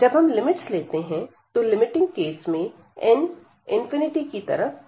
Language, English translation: Hindi, But, when we are taking the limits, so in the limiting case when n is approaching to infinity